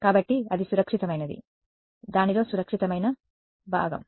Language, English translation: Telugu, So, that is safe, the safe part of it